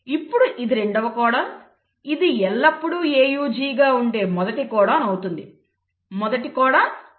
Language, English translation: Telugu, So this becomes the second codon, this becomes the first codon which is always AUG; first codon, second codon